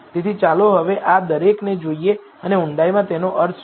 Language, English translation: Gujarati, So, now, let us look at each of these and what they mean in depth